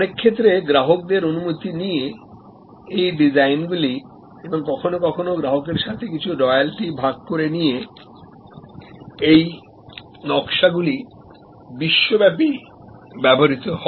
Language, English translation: Bengali, Now, in many cases these designs with customers permission and sometimes sharing of some royalty with the customer this designs are use globally